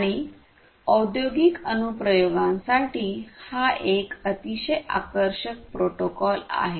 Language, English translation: Marathi, And, you know it is a very attractive protocol for industrial applications ah